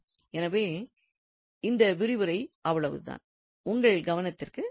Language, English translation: Tamil, Well, so that is all for this lecture and I thank you for your attention